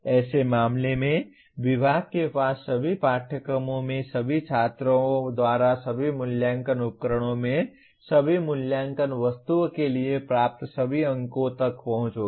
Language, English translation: Hindi, In such a case, the department will have access to all the marks obtained for all Assessment Items in all Assessment Instruments by all students in all courses